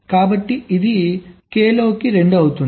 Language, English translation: Telugu, so it will two into k